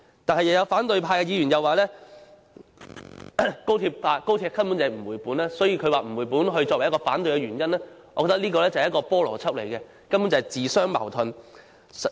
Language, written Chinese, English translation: Cantonese, 但是，又有反對派議員表示高鐵根本不能回本，以不能回本作為反對的原因，我覺得這是不合邏輯，根本是自相矛盾的。, Nevertheless another Member from the opposition camp said that the costs of XRL could not be recovered . I find it illogical and self - contradictory to take this as a reason against the construction of XRL